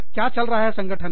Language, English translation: Hindi, What is going on in the organization